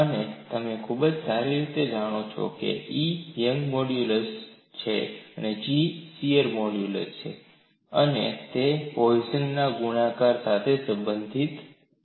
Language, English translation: Gujarati, And you know very well that E is the young’s modulus, G is the shear modulus and they are related by the Poisson’s ratio